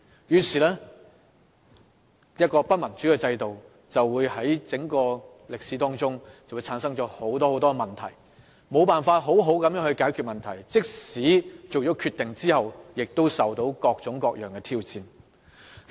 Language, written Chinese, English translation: Cantonese, 一個不民主的制度，便會產生很多問題，而問題卻無法妥善獲得解決，即使在政府作出決定後，亦會遭受各種各樣的挑戰。, An undemocratic system is associated with a lot of problems which cannot be properly resolved . Still it will be subjected to various challenges even after the Government has made its decisions